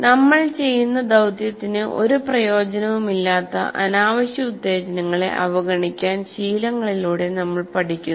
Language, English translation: Malayalam, So the learning now through habituation we learn to ignore what do you call unnecessary stimuli that have no use for us for the task that we are doing